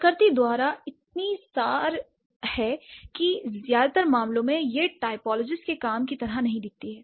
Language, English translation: Hindi, Semantic typology is so abstract by nature that it cannot, like in most of the cases, it does not look like typologist's work